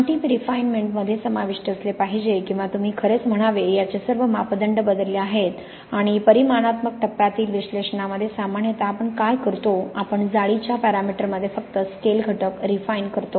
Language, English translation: Marathi, The final refinement should include, or you should really say, all the parameters of this has been varied and in quantitative phase analysis usually what we do, we refine only the scale factors in the lattice parameter